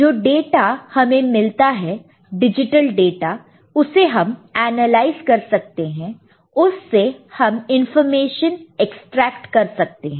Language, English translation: Hindi, The data that we get, the digital data, we can analyze it to, you know, extract many information out of it